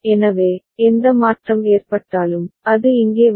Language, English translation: Tamil, So, whatever change is occurring, it will come here